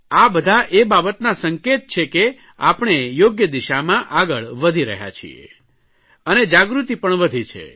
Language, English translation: Gujarati, All these things are a sign that we are moving in the right direction and awareness has also increased